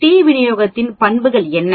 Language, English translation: Tamil, What are the properties of the T distribution